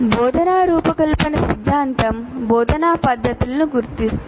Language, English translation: Telugu, Now, instructional design theory identifies methods of instruction